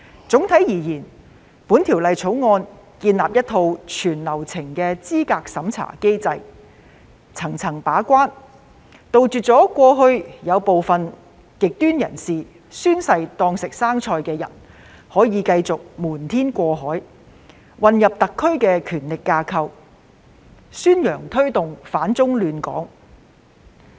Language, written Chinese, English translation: Cantonese, 總體而言，《條例草案》建立一套全流程資格審查機制，層層把關，杜絕過去部分極端人士"宣誓當食生菜"，繼續瞞天過海，混入特區的權力架構，宣揚推動反中亂港。, On the whole the Bill establishes a mechanism of qualification review throughout the entire process to check the eligibility criteria at all levels so as to eradicate previous problems of infiltration of radicals who had not taken their oath seriously into the SAR power structure to spread anti - China sentiments to disrupt Hong Kong